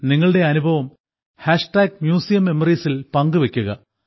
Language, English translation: Malayalam, Do share your experience with MuseumMemories